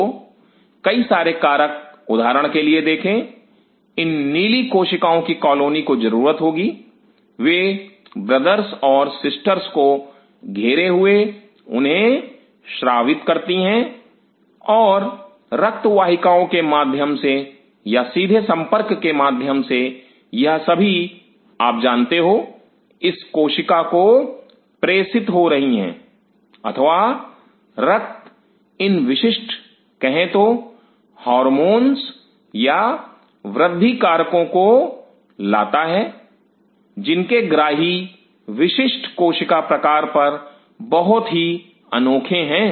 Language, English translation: Hindi, So, many of the factors which see for example, these colony of blue cells will be needing, they are surrounding brothers and sisters secrete those and through blood vessels or through direct contact, these are being you know transmitted to this cells or blood brings specific say hormones or growth factor whose receptors are very unique on specific cell type